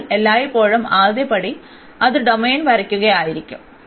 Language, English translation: Malayalam, So, the first step always it should be the sketching the domain